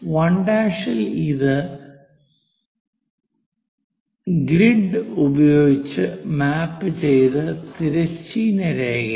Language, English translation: Malayalam, For 1, this is the horizontal line which is mapped with the grid